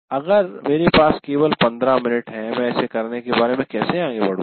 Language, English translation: Hindi, And whether if I have only 15 minutes, how do I go about doing it